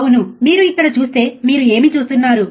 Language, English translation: Telugu, Yeah so, if you see here, right what do you see